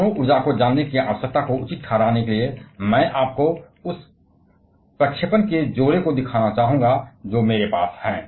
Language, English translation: Hindi, Just to justify the need of knowing the nuclear energy, I would like to show you this couple of projection that I have